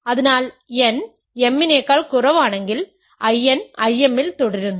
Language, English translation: Malayalam, So, if n is less than m, I n is continued in I m